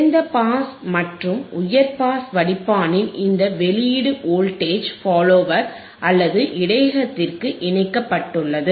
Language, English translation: Tamil, This output of the low pass and high pass filter is connected to the buffer to the voltage follower or to the buffer as you see here